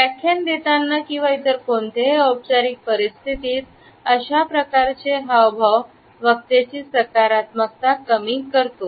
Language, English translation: Marathi, While delivering a lecture or during any other formal situation, this type of a gesture diminishes the positivity of the speakers image